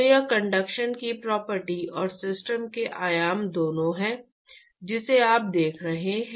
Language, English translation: Hindi, So, it is both property of conduction and the dimensions of the system that you are looking at